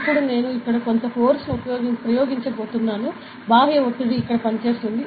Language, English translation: Telugu, Now I am going to apply some force here, an external pressure will be acting over here ok